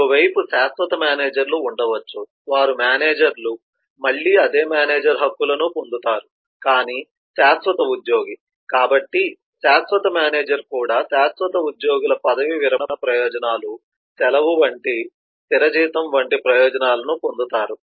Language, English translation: Telugu, on the other hand, there could be permanent managers, who are managers, again get the same manager rights, but is the permanent employee, so the permanent manager also inherits the permanent employees benefits, like retirement benefits, like leave, like fixed salary and so on